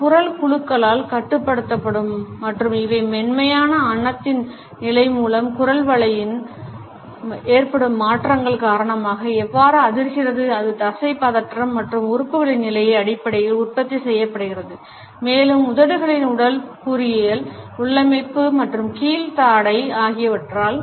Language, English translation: Tamil, It is controlled in the vocal bands and how do they vibrate by certain changes in the pharynges by the position of the soft palate, by the articulation as it is produced in terms of muscular tension and position of the organs, also by the anatomical configuration shaping of the lips and the lower jaw